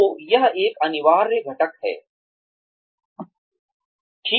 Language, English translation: Hindi, So, that is an essential component